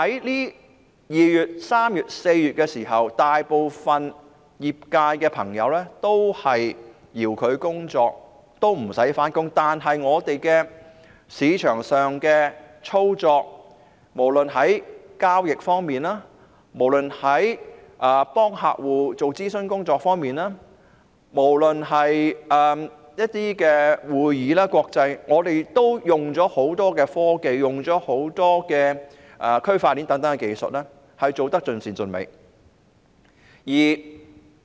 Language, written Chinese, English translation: Cantonese, 在2月、3月及4月，大部分業界朋友都是遙距工作，不用上班，但對於市場上的操作，無論是交易、為客戶提供諮詢服務或舉行一些國際會議，我們都運用了很多科技，應用了區塊鏈等大量技術，做得盡善盡美。, Most of the practitioners in the financial services sector worked remotely instead of getting back to office in February March and April . Yet insofar as market operation is concerned whether it is the handling of transactions provision of consultation services for clients or holding some international conferences we have used a lot of technologies and applied a great deal of Fintech such as blockchain to get our job perfectly done